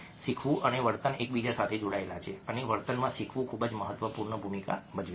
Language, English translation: Gujarati, learning and behavior are linked to one another and learning plays a very significant role in behavior